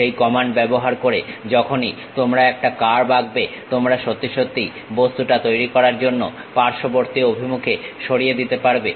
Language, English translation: Bengali, Using that command once you draw a curve you can really sweep it in lateral direction to make the object